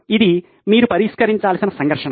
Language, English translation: Telugu, This is the conflict that you have to resolve